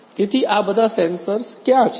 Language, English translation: Gujarati, So, where are these sensors